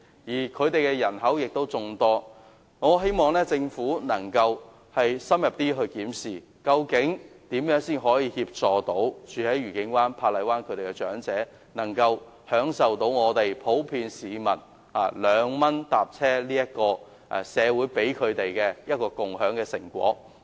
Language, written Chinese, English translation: Cantonese, 此外，當區人口眾多，因此我希望政府能夠深入檢視如何可以協助愉景灣和珀麗灣的長者，讓他們一如普遍長者般享受社會給予他們的共享成果——兩元乘車優惠。, Moreover many people live in these two places so I hope the Government can thoroughly examine the provision of assistance to elderly people in Discovery Bay and Park Island so as to enable them to also enjoy the fruit offered by society in the form of the 2 concessionary fare just as other elderly people in general do